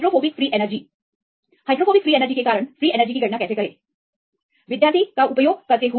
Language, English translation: Hindi, For the hydrophobic free energy; how to calculate the total free energy due to hydrophobic free energy